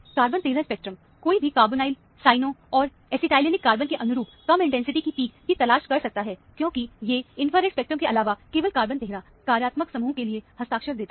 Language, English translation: Hindi, Carbon 13 spectrum, one can look for low intensity peaks corresponding to carbonyl, cyano and acetylenic carbon, because these, only carbon 13 gives signature for this kind of functional group, besides the infrared spectrum